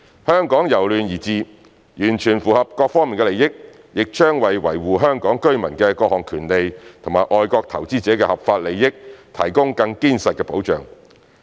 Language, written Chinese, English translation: Cantonese, 香港由亂而治，完全符合各方利益，也將為維護香港居民的各項權利和外國投資者的合法利益提供更堅實的保障。, Hong Kongs shift from chaos to stability fully serves the interests of all parties . It will provide stronger safeguards for protecting the rights and interests of Hong Kong residents and the lawful interests of foreign investors